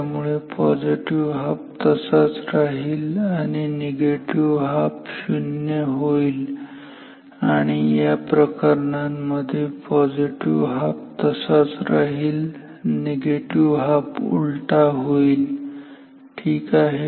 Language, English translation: Marathi, So, positive half as it is negative half is it is going to be 0 here as well and in this case positive halves are unchanged negative halves are reversed ok